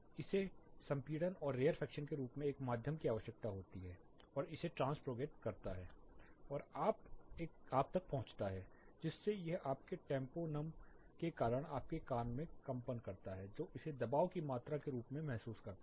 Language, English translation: Hindi, It needs a medium in terms of compression and rarefaction it trans propagates and then it reaches you it causes your tympanum to vibrate in your ear which senses it as the pressure quantity